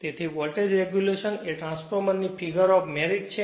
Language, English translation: Gujarati, So, voltage regulation is a figure of merit of a transformer